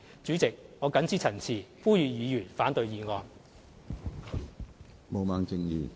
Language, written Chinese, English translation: Cantonese, 主席，我謹此陳辭，呼籲議員反對議案。, With these remarks President I call upon Members to oppose the motion